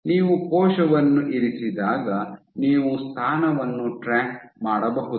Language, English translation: Kannada, So, when you put the cell you can track the position